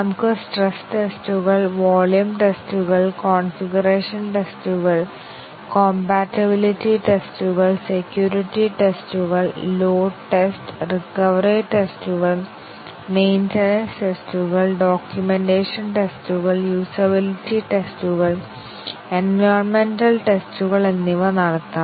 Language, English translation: Malayalam, We can have stress tests, volume tests, configuration tests, compatibility tests, security tests, load test, recovery tests, maintenance tests, documentation tests, usability tests and environmental tests